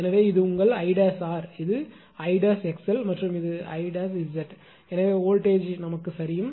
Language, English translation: Tamil, Therefore, this is your I dash R; this is I dash x l and this is I dash Z, so voltage drop right